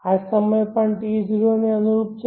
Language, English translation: Gujarati, This is the time also corresponding to T